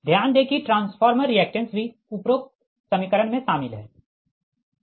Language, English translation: Hindi, so note that transformer reactance is also included in the above equation, right